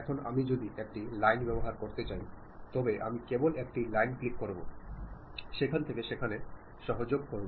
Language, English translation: Bengali, Now, if I would like to use a line, I just click a line, connect from there to there